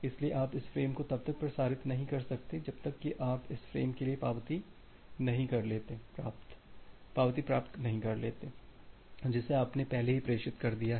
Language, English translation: Hindi, So, you cannot transmit this frame unless you are receiving the acknowledgement for this frames which you have already transmitted